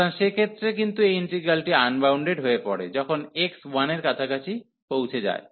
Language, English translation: Bengali, So, in that case, but this integrand is getting unbounded, when x is approaching to 1